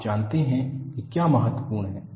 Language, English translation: Hindi, You know, that is what is important